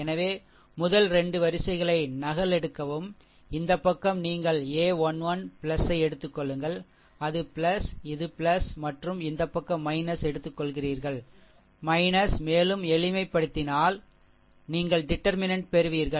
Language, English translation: Tamil, So, just just copy the first 2 rows, and this side you take a 1 1 plus, it is plus, this is plus and this side you take minus, and just simplify you will get the determinant